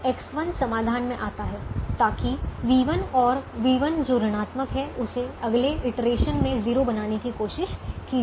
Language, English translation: Hindi, so that is v one that is negative will try to become zero in the next iteration